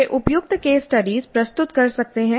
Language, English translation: Hindi, They can present suitable case studies